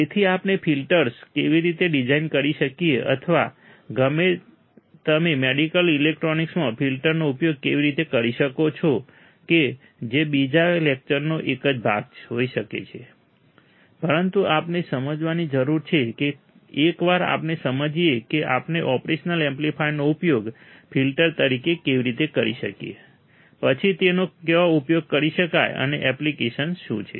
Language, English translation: Gujarati, So, how can we design a filter or how you can use the filter in medical electronics that can be a part of another lecture itself, but we need to understand that once we understand how we can use operational amplifier as an filter then where it can be used and what are the applications